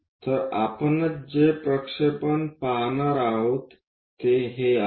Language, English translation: Marathi, So, what we are going to see is projection one this one